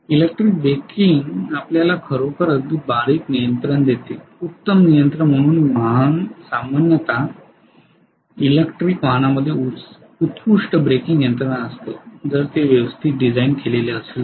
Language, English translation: Marathi, Electrical braking gives you actually very fine control extremely, fine control that is why the vehicle is generally electric vehicles will have excellent braking mechanism, if it is design properly ofcourse right